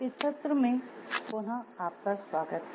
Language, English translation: Hindi, Welcome back to the session